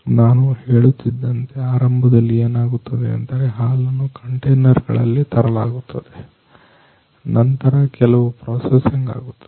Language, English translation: Kannada, So, initially you know what happens as I was telling you, the milk is brought in the form of containers then there is some processing that takes place